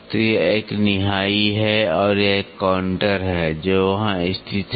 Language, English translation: Hindi, So, this is an anvil and this is a counter which is there a locating